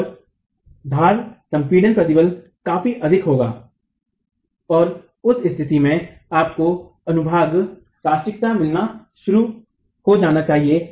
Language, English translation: Hindi, So the edge compresses stress will be significantly high and under that situation you should start getting plastication of the section